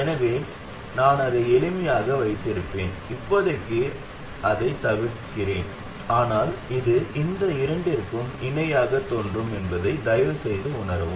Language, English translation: Tamil, So I will keep it simple and I will omit it for now, but please realize that it will simply appear in parallel with these two